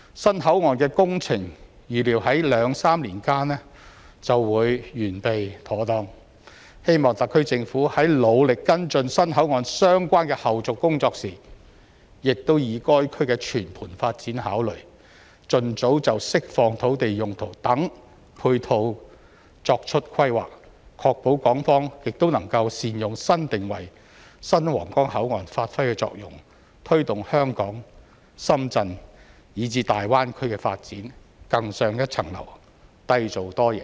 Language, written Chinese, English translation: Cantonese, 新口岸的工程預料在兩三年間便會完備妥當，希望特區政府在努力跟進新口岸相關的後續工作時，亦以該區的全盤發展考慮，盡早就釋放土地用途等配套作出規劃，確保港方亦能善用新定位、新皇崗口岸發揮的作用，推動香港、深圳以至大灣區的發展更上一層樓，締造多贏。, The works project of the new Huanggang Port is expected to complete in two to three years . I hope that when the HKSAR Government actively follows up the subsequent work associated with the new Huanggang Port it will comprehensively consider the development of the whole area and make early planning for the uses of the land to be released so as to ensure that Hong Kong can make good use of the new positioning and the new Huanggang Port take the development of Hong Kong Shenzhen and the Greater Bay Area to a higher level and create a multiple - win situation for all